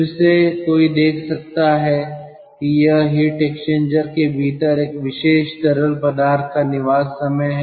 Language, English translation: Hindi, or again one can see that it is the residence time of a particular fluid within the heat exchanger